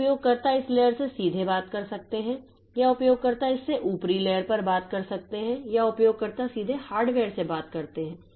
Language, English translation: Hindi, So, as a user of the system, so user can talk to this layer directly or can talk to this layer or the user can talk to the upper this layer or the user can directly talk to the hardware